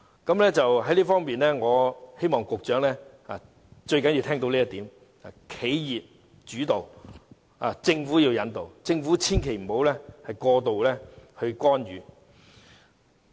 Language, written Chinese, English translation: Cantonese, 在這方面，我希望局長聽到這最重要的一點，便是企業主導，政府引導，政府千萬別過度干預。, In this connection I hope the Secretary will hear this most important point that is development is led by enterprises and guided by the Government so the Government should refrain from making excessive intervention